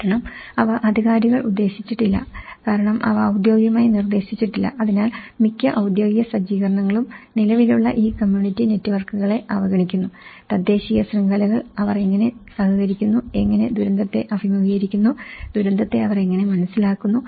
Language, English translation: Malayalam, Because they are not directed by the authorities because they are not officially directed, so that is where, most of the official set up overlooks this existing community networks; the indigenous networks, how they cooperate, how they face the disaster, how they understand the disaster